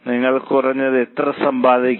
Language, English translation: Malayalam, How much you have to earn minimum